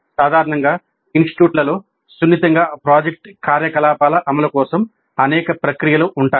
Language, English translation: Telugu, And usually the institutes have several processes for smooth organization and implementation of project activity